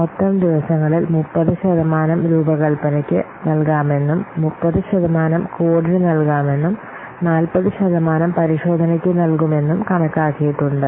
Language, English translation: Malayalam, And you have estimated that 30% of the total days can be given to design, 30 percent to code and 40 percent you will give to test